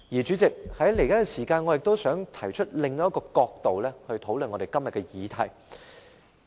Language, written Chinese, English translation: Cantonese, 主席，我想在餘下的時間提出以另一角度討論今天的議題。, President in my remaining speaking time I wish to discuss todays topic from another angle